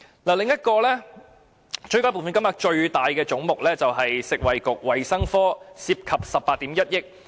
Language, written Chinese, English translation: Cantonese, 另一個追加撥款金額最大的總目就是食物及衞生局，涉及18億 1,000 萬元。, Another head with the largest supplementary appropriation is the Food and Health Bureau and it amounts to 1.81 billion